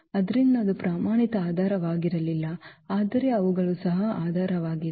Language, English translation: Kannada, So, that was not the standard basis, but they were also the basis